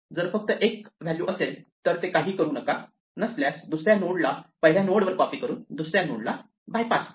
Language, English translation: Marathi, If it is only 1 value, make it none; if not, bypass the second node by copying the second node to the first node